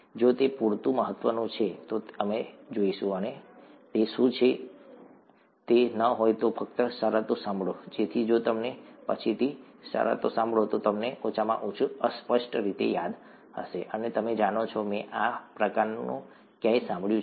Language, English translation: Gujarati, If it is important enough, we will go and see what it is; if it is not, just hear the terms so that if you hear the terms later, you will at least vaguely remember, and you know, I have kind of heard this somewhere